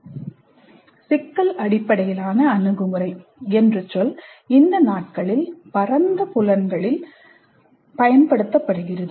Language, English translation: Tamil, The term problem based approach is being used in several broad senses these days